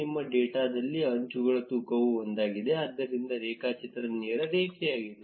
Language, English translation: Kannada, In our data, the weight of the edges is one, therefore, the graph is a straight line